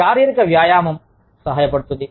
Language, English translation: Telugu, Physical exercise helps